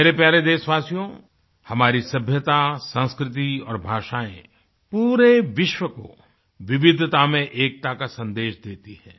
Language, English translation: Hindi, My dear countrymen, our civilization, culture and languages preach the message of unity in diversity to the entire world